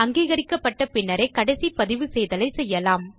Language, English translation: Tamil, Only after approval should you do the final recording